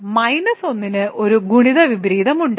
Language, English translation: Malayalam, So, minus 1 has a multiplicative inverse